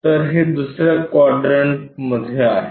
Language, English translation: Marathi, So, it is in the second quadrant